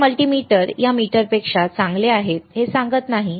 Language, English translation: Marathi, I am not telling that this multimeter is better than this multimeter